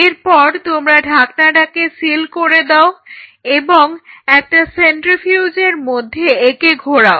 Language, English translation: Bengali, Now, you take this you seal the lead of it and you spin it in a centrifuge